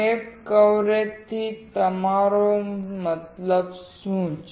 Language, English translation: Gujarati, What do you mean by step coverage